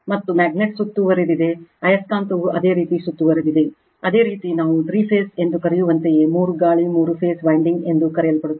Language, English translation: Kannada, And magnet is surrounded by right magnet is the your surrounded by that your some your what we call phase three phase your that three wind, the three phase winding called right